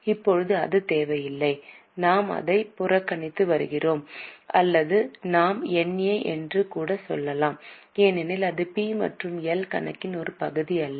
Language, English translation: Tamil, Right now it is not required so we are ignoring it or we can even say NA because this is not a part of P&L account